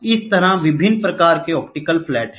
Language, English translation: Hindi, So, different types of optical flats are there